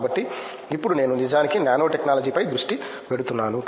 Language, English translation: Telugu, So, now I am actually focusing on say nanotechnology